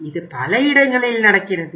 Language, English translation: Tamil, It happens at many places